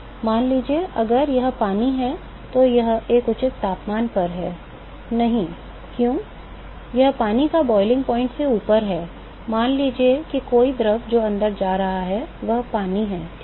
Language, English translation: Hindi, Suppose if it is water it is a reasonable temperature; no, why it is above the boiling point of water, supposing if a fluid that is going inside is water ok